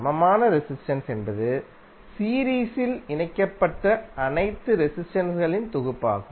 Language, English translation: Tamil, Equivalent resistance would be summation of all the resistances connected in the series